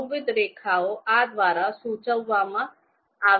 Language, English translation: Gujarati, Multiple lines are indicated by this